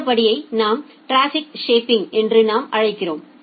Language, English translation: Tamil, Then the step which we call as the traffic shaping